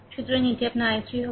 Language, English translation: Bengali, So, this will be your i 3